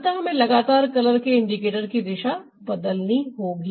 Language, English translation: Hindi, so we'll have to constantly change the direction of the color indicators